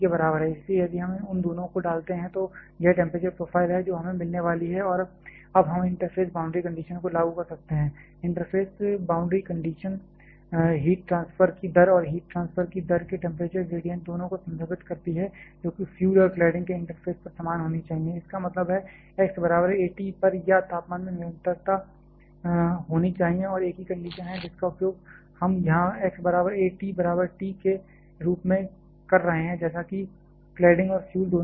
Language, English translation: Hindi, So, if we put both of them this are temperature profile that we are going to get and now we can apply the interface boundary condition, interface boundary condition refers the rate of heat transfer both the temperature and the temperature gradient of the rate of heat transfer should be identical at the interface of the fuel and the cladding; that means, at x equal to a T or temperature should have a continuity and there is same condition we are using here at x equal to a T is equal to T as for both cladding and fuel